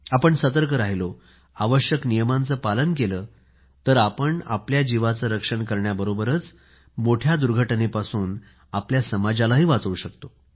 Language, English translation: Marathi, If we stay alert, abide by the prescribed rules & regulations, we shall not only be able to save our own lives but we can prevent catastrophes harming society